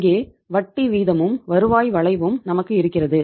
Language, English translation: Tamil, Here we have the interest rate and it is the yield curve right